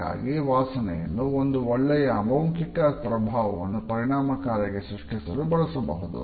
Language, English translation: Kannada, A smell can thus be used effectively to create a good non verbal impression